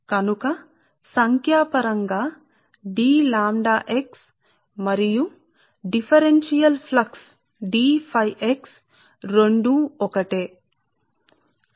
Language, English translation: Telugu, and hence the flux linkage d lambda x is numerically equal to the flux d phi x